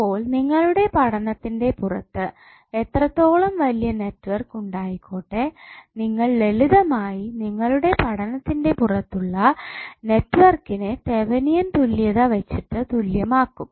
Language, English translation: Malayalam, So whatever the larger network outside the area of your study is present you will simply equal that network which is outside the area of your study by Thevenin equivalent